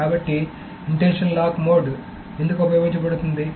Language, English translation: Telugu, So this is why the intention lock mode is being used